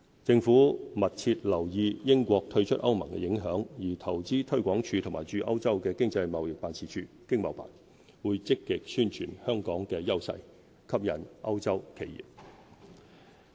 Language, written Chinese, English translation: Cantonese, 政府密切留意英國退出歐盟的影響，而投資推廣署和駐歐洲的經濟貿易辦事處會積極宣傳香港的優勢，吸引歐洲企業。, The Government is closely monitoring the impact of the United Kingdoms exit from the European Union . Invest Hong Kong and our Economic and Trade Offices ETOs in Europe will actively promote the strengths of Hong Kong to attract European businesses